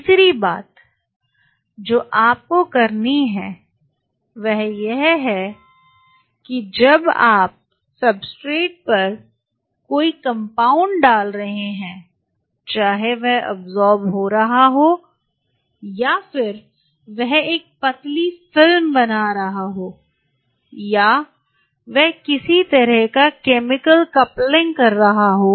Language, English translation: Hindi, The third thing what you have to do is now when you are putting any compound on the substrate whether it is getting absorbed, or whether it is forming a thin film, or it is forming some kind of chemical coupling